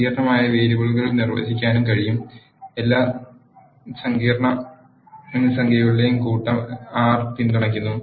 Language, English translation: Malayalam, We can also define complex variables, R supports set of all the complex numbers